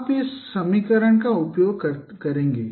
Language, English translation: Hindi, So you will be using this equation